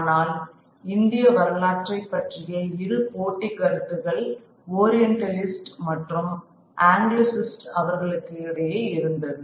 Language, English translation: Tamil, But there were two competing views of Indian history between the Orientalists and the Anglicist